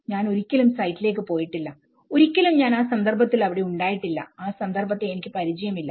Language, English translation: Malayalam, I have never been to the site, I never been to the context, I never introduced to the context